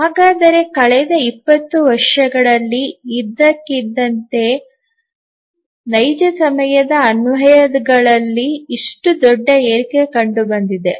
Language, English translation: Kannada, So, then why suddenly in last 20 years there is such a large increase in the real time applications